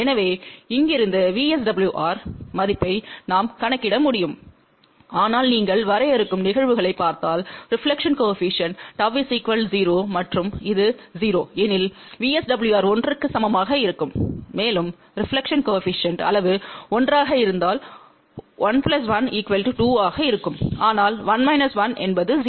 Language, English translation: Tamil, So, from here we can calculate the value of VSWR, but just you look at the limiting cases, so if reflection coefficient gamma is 0 and this is 0, VSWR will be equal to 1 and if reflection coefficient magnitude is 1 , then 1 plus 1 will be 2, but 1 minus 1 is 0